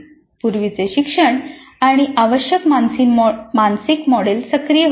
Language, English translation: Marathi, So the prior learning and the required mental are activated